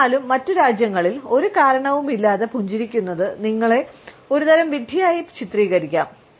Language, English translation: Malayalam, In other countries though, smiling for no reason can make you seem kind of dumb